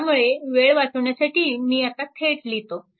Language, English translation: Marathi, So, to save sometime so, I have directly now writing